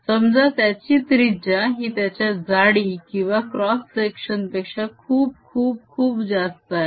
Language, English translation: Marathi, let us take the radius of this to be much, much, much greater than the thickness of your cross section